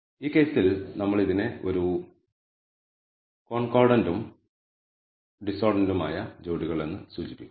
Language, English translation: Malayalam, In this case what we de ne is a concordant and a discordant pair